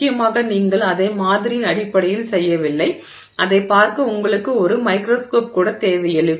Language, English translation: Tamil, Importantly, you don't even, based on the sample, you may not even need a microscope to see it